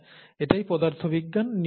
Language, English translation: Bengali, That's what physics is all about